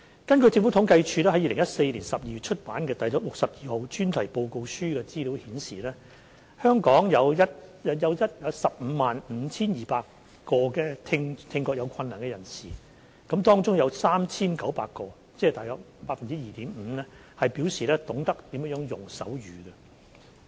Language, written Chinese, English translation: Cantonese, 根據政府統計處在2014年12月出版的《第62號專題報告書》的資料顯示，香港有 155,200 名聽覺有困難的人士，當中有 3,900 名，即大約 2.5% 表示懂得使用手語。, As indicated by the data in the Special Topics Report No . 62 published by the Census and Statistics Department in December 2014 there were 155 200 people with hearing difficulty in Hong Kong . Of these 3 900 people or roughly 2.5 % of the total knew how to use sign language